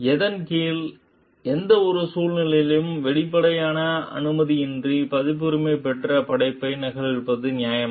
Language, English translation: Tamil, Under what if any circumstances is it fair to copy a copyrighted work without explicit permission